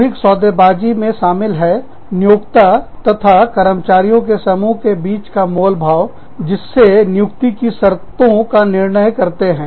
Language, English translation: Hindi, Collective bargaining, consists of negotiations, between an employer and a group of employees, so as to determine, the conditions of employment